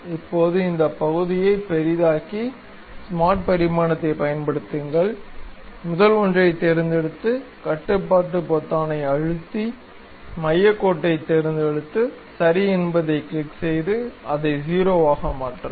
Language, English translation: Tamil, So, now, zoom in this portion, use smart dimension; pick the first one control button, center line, click ok, then make it 0